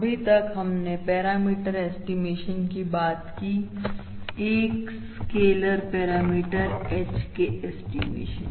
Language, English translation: Hindi, So far, we have talked about parameter estimation, the estimation of a scaler parameter H, all right